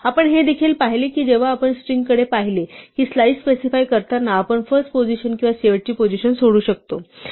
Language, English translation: Marathi, We also saw that when we looked at strings that we can leave out the first position or the last position when specifying a slice